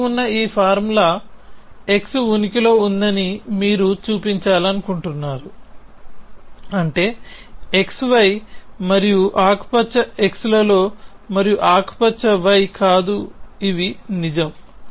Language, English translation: Telugu, You want to show that this formula which is there exist x exist y such that on x y and green x and not green y these true